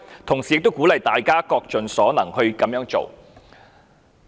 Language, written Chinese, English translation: Cantonese, 同時，我們也鼓勵大家各盡所能去這樣做。, We encourage all concerned to do so to the best of their ability